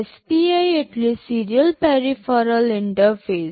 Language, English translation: Gujarati, SPI stands for Serial Peripheral Interface